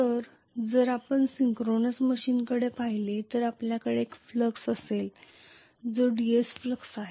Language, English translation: Marathi, So if you look at the synchronous machine you are going to have a flux which is DC flux